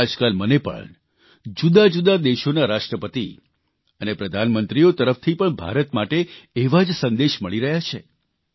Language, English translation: Gujarati, These days, I too receive similar messages for India from Presidents and Prime Ministers of different countries of the world